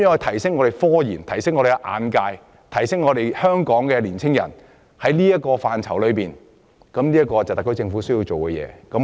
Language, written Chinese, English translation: Cantonese, 提升科研、擴闊市民的眼界，加強青年人在科研範疇發展，是特區政府需要做的事情。, Enhancing scientific research broadening the horizon of our people and strengthening the development of young people in scientific research are what the SAR Government should do